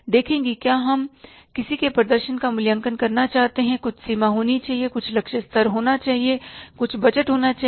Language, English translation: Hindi, See, if you want to evaluate the performance of somebody, there should be some threshold level, there should be some target level, there should be some budget